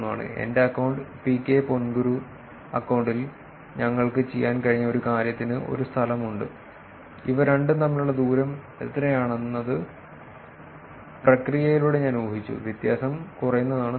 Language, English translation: Malayalam, And something we were able to my account PK ponguru account has a location and I inferred through the process the location what is the distance between these two, the lower the difference the better